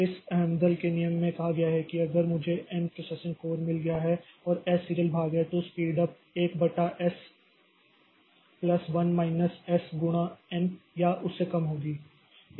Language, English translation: Hindi, So this amdals law says that if I have got n processing codes and s is the serial portion, then the speed up will be less or equal 1 upon s plus 1 minus s into n